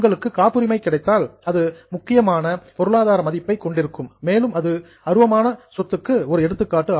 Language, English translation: Tamil, If you get a patent it has a very important economic value and patent will be an example of intangible asset